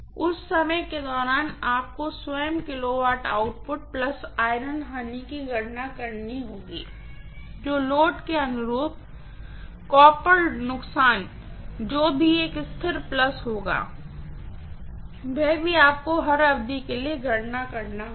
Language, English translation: Hindi, During that time itself you have to calculate kilowatt output plus iron losses which will be a constant plus whatever is the copper loss corresponding to that load, that also you have to calculate for every duration